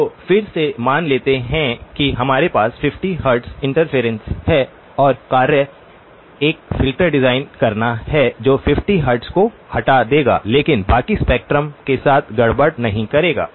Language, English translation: Hindi, So again let us assume that we have a 50 hertz interference and the task is to design a filter that will remove the 50 hertz but will not mess with the rest of the spectrum